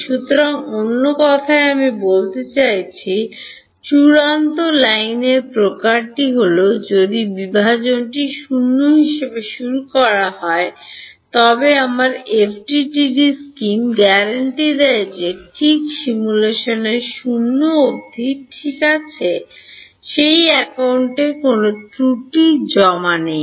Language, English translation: Bengali, So, in other words I mean what sort of final line is that if divergence starts out as 0, my FDTD scheme guarantees that at remain 0 throughout the simulation ok, there is no accumulation of error on that account ok